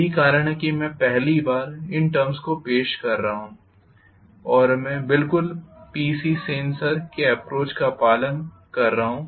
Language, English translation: Hindi, That is the reason why I am first introducing these terms and I am exactly following the approach of P C Sen exactly